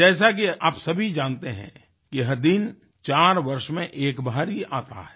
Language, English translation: Hindi, All of you know that this day comes just once in four years